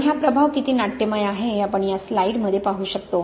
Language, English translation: Marathi, And in this slide we can see how dramatic that effect is